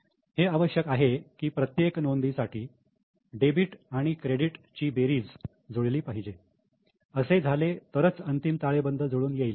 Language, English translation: Marathi, It is necessary that total of debit and credit should match for every entry, then only the final balance sheet will be tallied